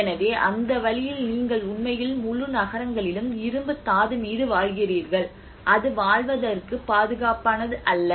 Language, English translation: Tamil, So in that way you are actually living on the whole cities on an iron ore which is not safe for living